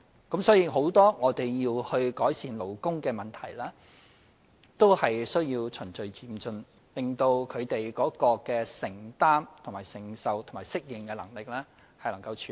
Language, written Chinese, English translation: Cantonese, 因此，在很多需要改善的勞工問題上，我們也要循序漸進，讓他們在承擔、承受和適應能力上可以應付。, Therefore with regard to many labour issues that need improvement we have to adopt a gradual and orderly approach in order for the enterprises to be prepared in terms of their affordability and adaptability